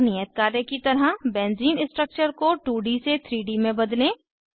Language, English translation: Hindi, As an assignment, Convert Benzene structure from 2D to 3D